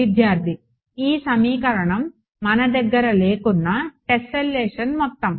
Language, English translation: Telugu, Did this equation we do not have entire the tessellation